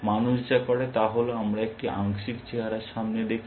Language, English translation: Bengali, What humans do is that we do a partial look ahead